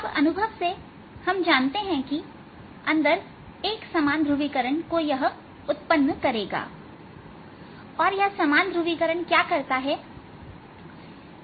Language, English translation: Hindi, now, from experience we know that this is going to generate a uniform polarization inside